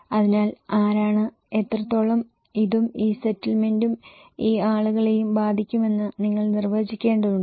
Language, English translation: Malayalam, So, you have to define that who, what extent this and this settlement and these people will be affected